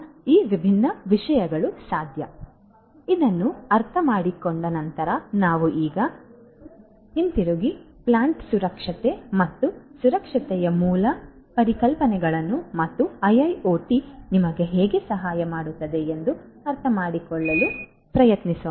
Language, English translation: Kannada, So, having understood this let us now go back and try to understand the basic concepts of plant security and safety and how IIoT can help us